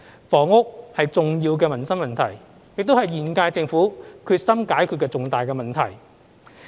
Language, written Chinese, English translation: Cantonese, 房屋是重要的民生問題，亦是現屆政府決心解決的重大問題。, Housing is both an important livelihood issue and a significant problem that the current - term Government is determined to solve